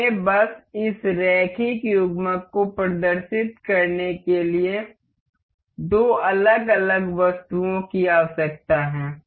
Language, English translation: Hindi, Let us just we need two different items to demonstrate this linear coupler